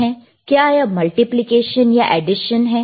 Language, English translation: Hindi, Is it multiplication or addition